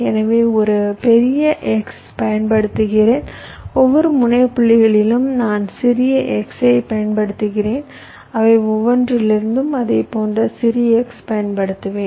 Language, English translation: Tamil, so i use a big x and with each of the terminal points i use smaller xs from each of them i will be using even smaller xs like that